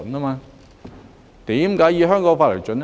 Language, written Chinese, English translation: Cantonese, 為何要以香港法例為準？, Why is it necessary to have the laws of Hong Kong as the basis?